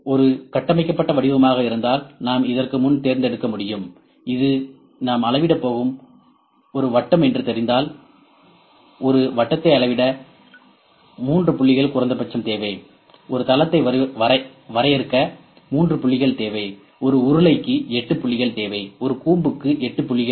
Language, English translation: Tamil, If we know that if there is a structured form we can selected before and only this is a circle that we are going to measure; for a circle, 3 points are minimum are required to measure; for a plane, 3 points are required to define a plane; for a cylinder 8 points required; for a cone 8 points are required